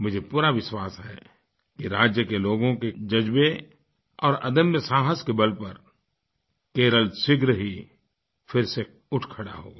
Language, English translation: Hindi, I firmly believe that the sheer grit and courage of the people of the state will see Kerala rise again